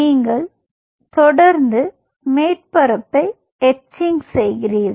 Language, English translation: Tamil, you are continuously etching out the surface